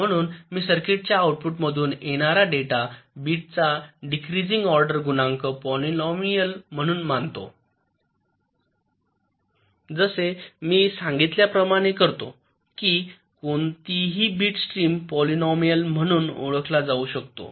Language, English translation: Marathi, so we treat the data bits that are coming out of the outputs of the circuit as a decreasing order coefficient polynomial, just as i had mentioned that any bit stream can be regarded as a polynomial